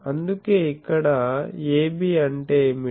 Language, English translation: Telugu, And so, what is AB